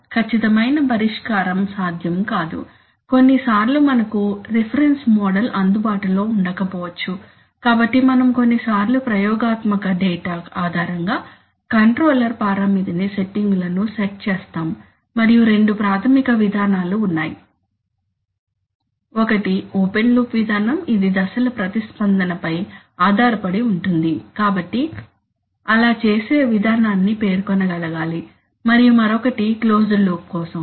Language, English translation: Telugu, Exact solution is not possible, sometimes we because a reference model is not may not be available, so we sometimes set controller parameter settings based on experimental data and there are two basic approaches, one is on, one is an open loop approach which is based on step response, so should be able to state the procedure for doing that and the other one is for closed loop